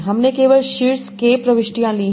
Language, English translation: Hindi, So you are taking only top k entries